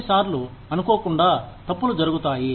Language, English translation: Telugu, Sometimes, mistakes are made inadvertently